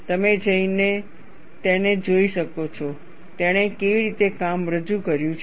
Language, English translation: Gujarati, You can go and have a look at it, how he has presented his work